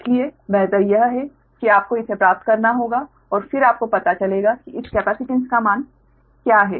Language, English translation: Hindi, so better is that you have to derive that and then you find out what is the value of this capacitance right now